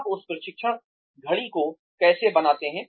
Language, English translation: Hindi, How do you make that training stick